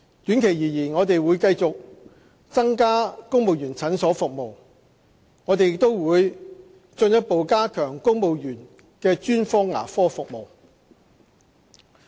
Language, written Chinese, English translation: Cantonese, 短期而言，我們會繼續增加公務員診所服務，我們亦會進一步加強公務員專科牙科服務。, For the short term we will continue to increase the service of family clinics and we will further enhance dental service for civil servants